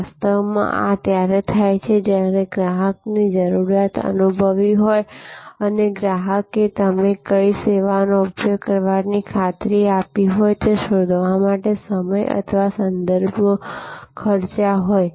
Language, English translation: Gujarati, This is actually when the customer has felt the need and customer has spend the time or references to find that which service you assured like to use